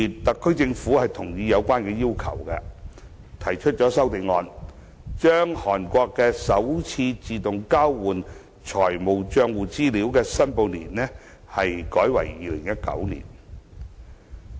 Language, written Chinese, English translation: Cantonese, 特區政府同意這項要求，提出了一項修正案，把韓國的首次自動交換資料的申報年改為2019年。, The SAR Government has acceded to this request and proposed a CSA to change the first reporting year for AEOI with Korea to 2019